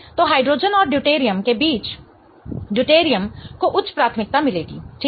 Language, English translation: Hindi, So, between hydrogen and deuterium, the deuterium will get the higher priority